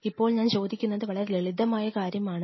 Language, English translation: Malayalam, So, what we are asking is simple